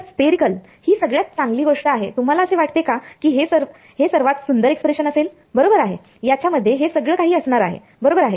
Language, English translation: Marathi, So, spherical is a best thing do you think it will be a very beautiful expression right it's going to have everything in it right